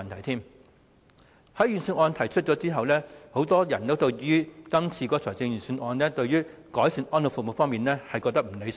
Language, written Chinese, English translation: Cantonese, 在財政預算案公布之後，很多人認為今次預算案改善安老服務方面的內容，並不理想。, Since the Budget was announced many people consider the improvement of elderly services not so desirable